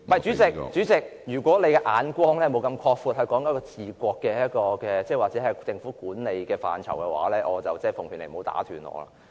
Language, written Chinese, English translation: Cantonese, 主席，如果你不能擴闊你的眼光......是治國或政府管理的範疇，我奉勸你不要打斷我的發言。, President if you cannot broaden your horizons the areas concerning the governance of a country or management of a government I advise you against interrupting my speech